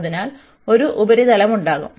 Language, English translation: Malayalam, So, there will be a surface